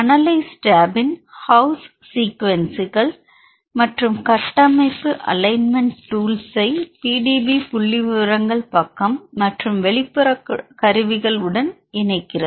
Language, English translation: Tamil, The analyze tab gives in house sequence and structure alignment tools links to the PDB statistics page as well as external tools